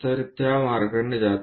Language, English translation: Marathi, So, that comes in that way